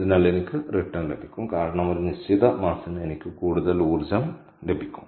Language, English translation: Malayalam, so i will going to get the returns because for a given mass i i get a lot more energy, all right